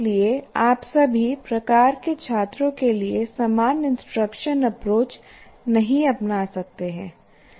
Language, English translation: Hindi, So you cannot take the same instructional approach to different, to all types of students